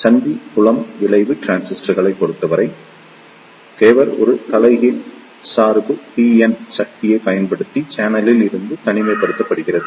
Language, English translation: Tamil, In case of Junction Field Effect Transistors, the gate is isolated from the channel using a reverse bias PN junction